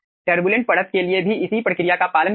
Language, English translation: Hindi, follow the same procedure for turbulent layer